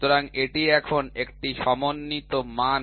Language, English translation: Bengali, So, this is now a unified standard